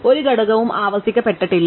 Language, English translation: Malayalam, No element was repeated